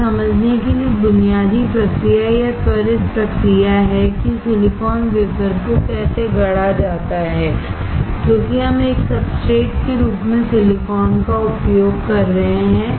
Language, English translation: Hindi, This is the basic process or quick process to understand how the silicon wafer is fabricated because we are using silicon as a substrate